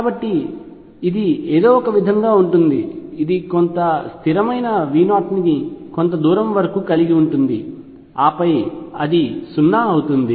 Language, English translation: Telugu, So, that would be something like this it is minus say some constant V 0 up to a distance a and then it becomes 0